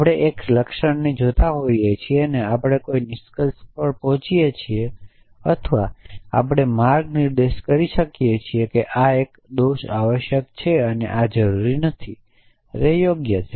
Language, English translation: Gujarati, We look at a symptom and we jump to a conclusion or we way can inference that this is a fault essentially and these are not necessarily correct